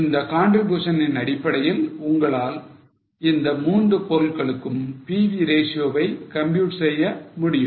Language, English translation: Tamil, Based on contribution you can also compute the PV ratio for all the three products